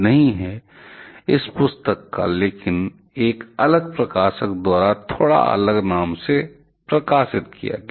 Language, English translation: Hindi, But in 2015, I cannot remember the name of that modified version; the second edition of this book, but with a slightly different name that was published taken by a different publisher